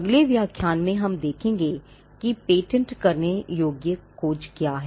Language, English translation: Hindi, In the next lecture we will see what is a patentability search